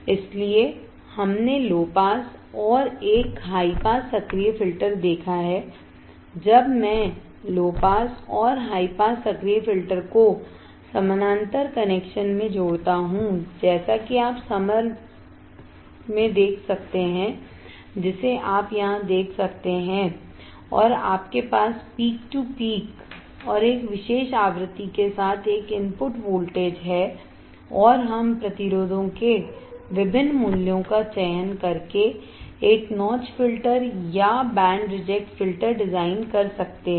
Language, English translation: Hindi, So, we have seen the low pass and a high pass active filter, when I connect the low pass and high pass active filters in parallel connection as you can see with a summer which you can see here and you have a input voltage with peak to peak voltage this to this right and with a particular frequency, and we can design a notch filter or band reject filter by selecting different values of resistors